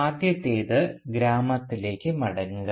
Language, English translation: Malayalam, First, the return to the village